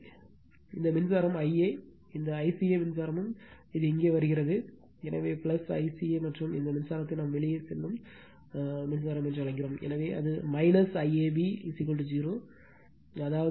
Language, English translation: Tamil, So, this current is I a, this I ca current it also coming here, so plus I ca and this current is your what we call it is leaving, so it is minus I ab is equal to 0; that means, my I a is equal to I ab minus I ca right